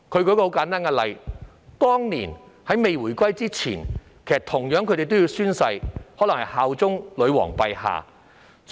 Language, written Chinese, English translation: Cantonese, 他們舉了一個簡單的例子，就是回歸前，公職人員同樣要宣誓效忠女皇陛下。, They have cited a simple example . Before the return of sovereignty public officers were also required to swear allegiance to Her Majesty